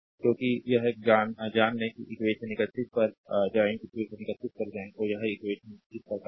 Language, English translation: Hindi, Because you know this one if you go to equation 31, you go to equation 31, that is your this equation, right